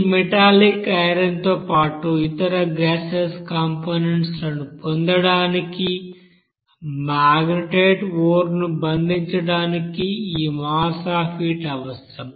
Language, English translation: Telugu, So this mass of heat is required to bond that magnetite ore to get that metallic iron along with other you know gaseous components